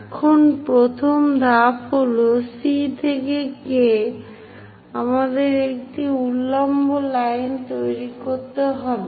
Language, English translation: Bengali, Now, the first step is from C all the way to K; we have to construct a vertical line